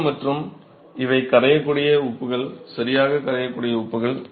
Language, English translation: Tamil, So, what really happens is the salts and these are soluble salts, right